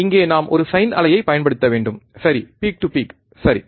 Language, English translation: Tamil, Here we have to apply a sine wave, right peak to peak to peak, right